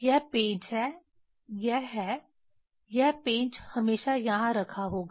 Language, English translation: Hindi, It is the screw, it is; it put on always have screw